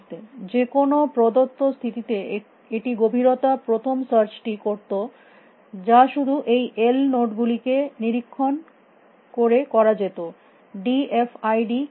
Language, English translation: Bengali, At any given stage for this is a depth first would have done depth first search just inspecting this l nodes, what is d f i d is doing